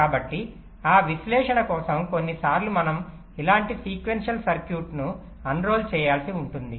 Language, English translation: Telugu, so just for that analysis, sometimes we may have to unroll a sequential circuit like this